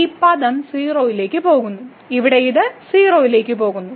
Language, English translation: Malayalam, So, this term goes to 0 and here this goes to 0